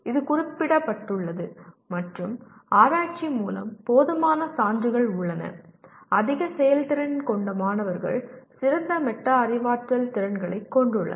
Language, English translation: Tamil, It is noted and there is adequate proof through research high performing students have better metacognitive skills